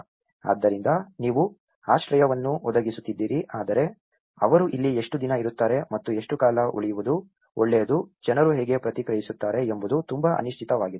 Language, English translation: Kannada, So, you are providing the shelter but how long they are going to stay here and how long it is good to last, how people are going to respond is very uncertain